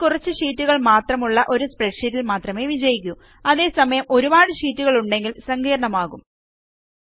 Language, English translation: Malayalam, This works for a small spreadsheet with only a few sheets but it becomes cumbersome when there are many sheets